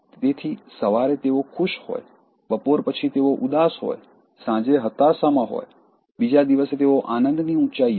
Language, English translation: Gujarati, So, morning they are happy, afternoon they are sad, evening they are in depression, next day they are in the heights of ecstasy